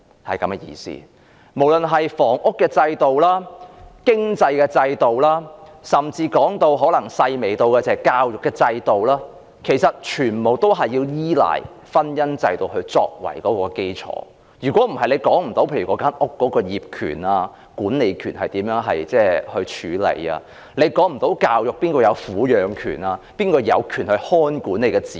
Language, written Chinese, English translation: Cantonese, 不論是房屋制度、經濟制度，甚至是教育制度，其實全部倚賴婚姻制度作為基礎，否則便無法處理房屋業權和管理權，以及無法處理教育及撫養權等，即誰有權看管子女。, Other social institutions all those about housing economic affairs and even education must actually rest on the marriage institution . If not it will not be possible to handle property ownership and management nor will it be possible to deal with education and child custody right that is the right to look after children